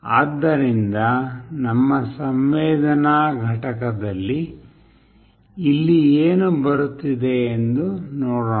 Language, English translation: Kannada, So, let us see what is coming here in our sensing unit